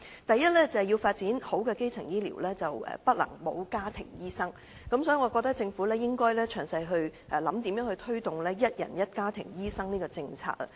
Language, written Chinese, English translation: Cantonese, 第一，要發展完善的基層醫療，不能沒有家庭醫生，所以，我認為政府應詳細思考如何推動"一人一家庭醫生"的政策。, First the development of a comprehensive primary health care is impossible without the participation of family doctors . Hence I think the Government should examine in detail how it can pursue the policy of one person one family doctor